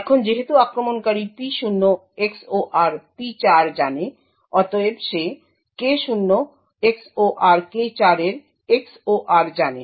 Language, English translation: Bengali, Now since the attacker knows P0 XOR P4 he thus knows the XOR of K0 XOR K4